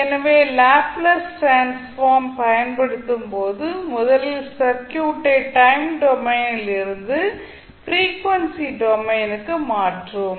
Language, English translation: Tamil, So, when you use the Laplace transform you will first convert the circuit from time domain to frequency domain